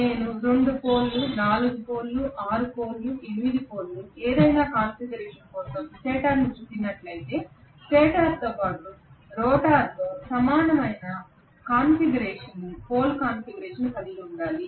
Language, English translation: Telugu, If I have wound the stator for 2 pole, 4 pole, 6 pole, 8 pole whatever configuration I have to have similar pole configuration for the stator as well as rotor